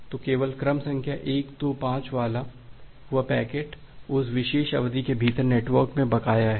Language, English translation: Hindi, So, only that packet with the sequence number 125 is outstanding in the network within that particular duration